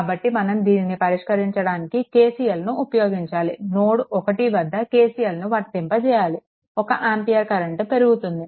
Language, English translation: Telugu, So, you have to apply your; what you call that your if you apply KCLs at node 1 if you apply KCL ah one ampere current is increasing